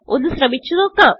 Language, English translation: Malayalam, Let us try it out